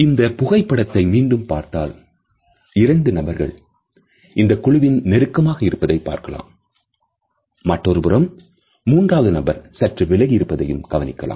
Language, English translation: Tamil, If we look at this photograph again, we find that two individuals in this group photo are at a closer distance to each other on the other hand the third person is maintaining slightly more distance